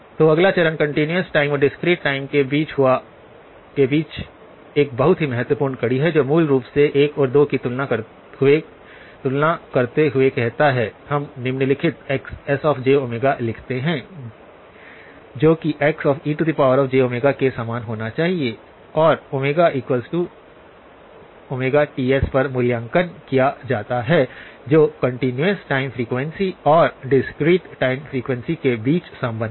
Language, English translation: Hindi, So the next step is a very important link between the continuous time and the discrete time which basically, says comparing 1 and 2, we write down the following xs of j omega has to be the same as X e of j omega; x e of j omega evaluated at omega equal to omega Ts that is the relationship between the continuous time frequency and the discrete time frequency